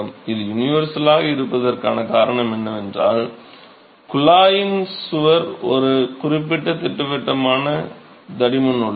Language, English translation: Tamil, The reason why it is universal is, the wall of the tube is a certain definite thickness right